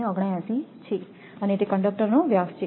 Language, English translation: Gujarati, 479 and it is the diameter of the conductor